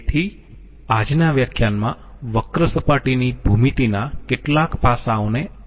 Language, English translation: Gujarati, So in today s lecture will be covering certain aspects of Curved surface geometry